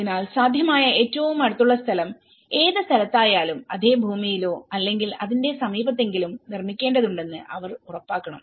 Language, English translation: Malayalam, So, they have to ensure that whatever the land the nearest possible vicinity so, they need to build on the same land or at least in the nearby vicinity